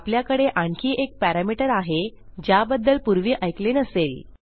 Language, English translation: Marathi, Okay, we have another parameter which you may not have heard of before